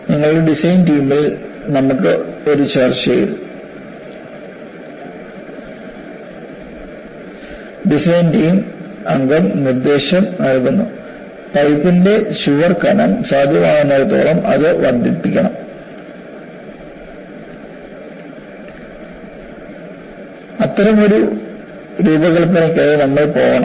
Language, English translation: Malayalam, And you have a discussion in your design team and the design team member suggests, we should go for as high a wall thickness of the pipe should be possible, we should go for such a design